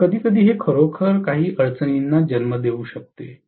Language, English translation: Marathi, So, sometimes that can actually give rise to some difficulty, right